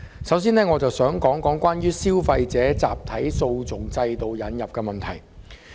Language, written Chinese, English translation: Cantonese, 首先，我想討論引入消費者集體訴訟機制一事。, Firstly I wish to discuss about the introduction of a mechanism for consumer class actions